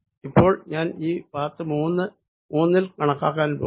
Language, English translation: Malayalam, now i am going to calculate over this path number three